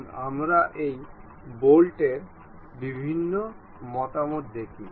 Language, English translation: Bengali, Let us look at different views of this bolt